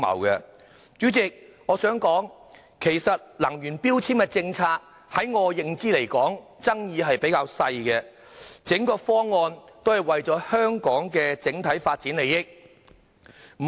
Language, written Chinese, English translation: Cantonese, 代理主席，以我所知，能源標籤政策爭議較少，整個方案也是為了香港的整體發展利益。, Deputy President as far as I understand it there was little controversy over the policy on energy efficiency labelling . The proposal is for the benefit of the overall development of Hong Kong